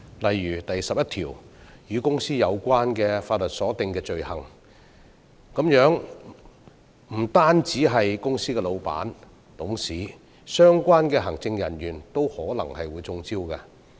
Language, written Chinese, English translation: Cantonese, 例如第11項"與公司有關的法律所訂的罪行"，不單涉及公司老闆和董事，相關的行政人員都可能會"中招"。, For example item 11 Offences against the law relating to companies offences not only will company bosses and directors be involved the relevant executives may fall into traps as well